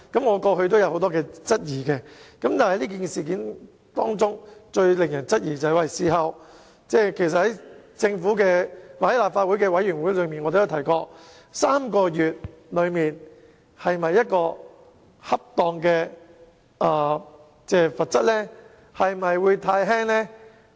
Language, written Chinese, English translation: Cantonese, 我過去也曾經提出不少質疑，而這事件最令人質疑的地方是，正如我在政府或立法會委員會上也曾經提出，暫停3個月競投這項罰則是否恰當呢？, In this incident it is most doubtful as I have pointed out to the Government or the committees of the Legislative Council before whether the three - month suspension from bidding is appropriate and whether this penalty is too lenient